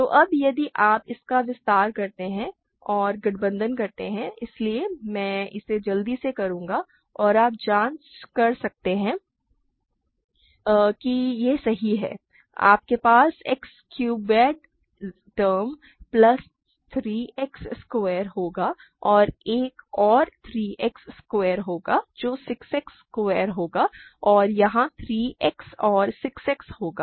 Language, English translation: Hindi, So, now, if you expand this and combine; so, I will quickly do this and you can check the it is correct you will have X cubed term plus 3 X squared and there will be another 3 X squared that will be 6 X squared plus there will be a 3 X here and 6 X here